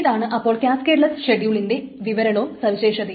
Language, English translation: Malayalam, So, that is the definition and the property of cascadless schedules